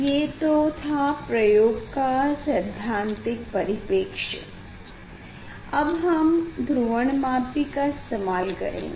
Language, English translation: Hindi, this is the theoretical part of this experiment; now, we will use polarimeter